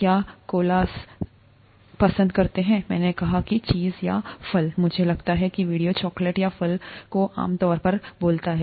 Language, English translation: Hindi, Do Koalas Prefer, I said Cheese Or Fruit, I think the video says Chocolate or Fruit Generally Speaking